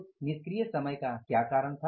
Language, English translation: Hindi, What was that reason for the idle time